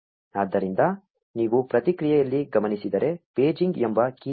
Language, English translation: Kannada, So, if you notice in the response, there is this key called paging